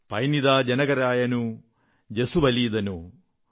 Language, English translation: Malayalam, Penninda janakaraayanu jasuvalendanu